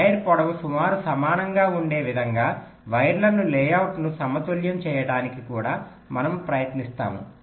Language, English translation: Telugu, but also, we shall be trying to balance, layout the wires in such a way that the wire lengths will be approximately equal